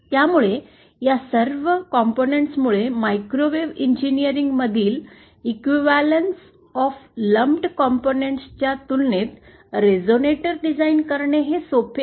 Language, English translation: Marathi, So, because of all these factors, it is actually as we shall see, it is actually easier to design a resonator as compared to equivalence of lumped components in microwave engineering